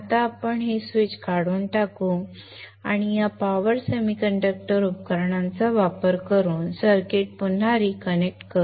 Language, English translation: Marathi, Now let us remove the switch and reconnect the circuit using these power semiconductor devices